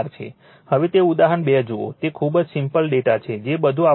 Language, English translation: Gujarati, Now, you see that example 2, it is very simple data everything is given